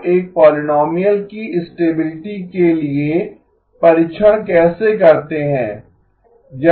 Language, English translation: Hindi, How do you test for stability of a polynomial